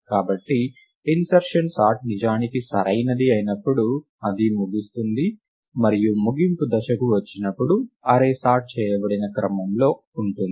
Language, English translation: Telugu, Therefore, insertion sort is indeed correct in the sense that, it terminates and on termination the array is in sorted order